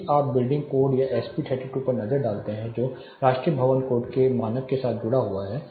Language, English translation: Hindi, If you take a look at naturally building code or SP 32 which is again associated standard with national building code